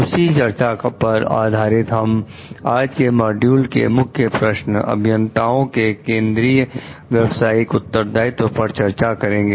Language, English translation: Hindi, Based on that discussion in today s module now, we are going to discuss about the Key Questions pertaining to Central Professional Responsibilities of Engineers